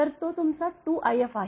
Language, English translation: Marathi, So, that is your 2 i f